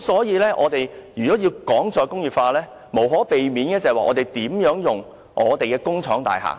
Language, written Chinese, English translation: Cantonese, 如果我們要談"再工業化"，我們必須探討如何運用工廠大廈。, If we talk about re - industrialization we must explore how to utilize industrial buildings